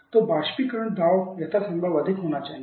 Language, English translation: Hindi, So, the evaporator pressure should be as highest possible